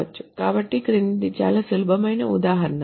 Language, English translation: Telugu, So very easy example is the following